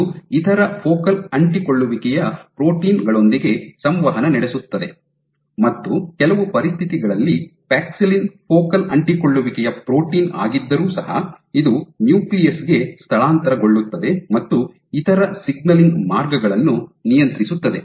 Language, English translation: Kannada, It is known to interact with other focal adhesions proteins and interestingly under certain conditions paxillin in spite of being a focal adhesion protein, it can translocate to the nucleus and regulate other signaling pathways